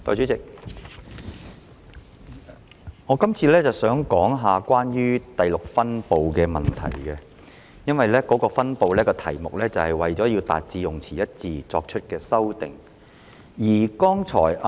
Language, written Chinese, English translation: Cantonese, 代理主席，我這次想談論第6分部的問題，這個分部的題目是"為達致用詞一致而作出的修訂"。, Deputy Chairman at this point I would like to discuss some issues relating to Division 6 and the title of this division is Amendments to Achieve Consistency